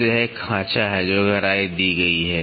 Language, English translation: Hindi, So, this is a groove, the depth which is given